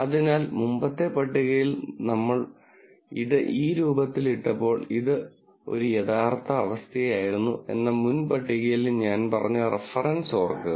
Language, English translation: Malayalam, So, the previous table when we put this in this form, remember when I said reference in the previous table, this was a true condition